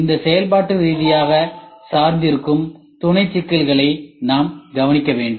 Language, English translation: Tamil, We should note down this point functionally dependent sub problems ok